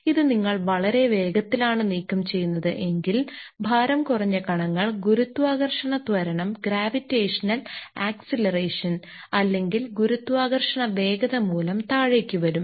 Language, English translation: Malayalam, If if you are removing it is too fast, then even the lighter particles may come down because of its own gravitational acceleration or the gravitation of force speed